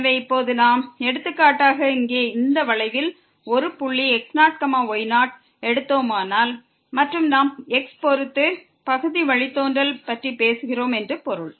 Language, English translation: Tamil, So, now, here on this curve if we take a point for example, naught naught and we are talking about the partial derivative with respect to